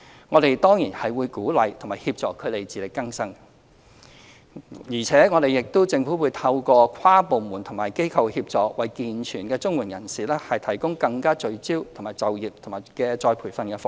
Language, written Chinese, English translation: Cantonese, 我們當然會鼓勵和協助他們自力更生，而且政府將透過跨部門及機構協作，為健全綜援受助人提供更加聚焦的就業及再培訓服務。, We will definitely encourage and assist them in moving towards self - reliance . Moreover by means of inter - departmental cooperation and cooperation with organizations the Government will provide more focused employment and retraining services to able - bodied CSSA recipients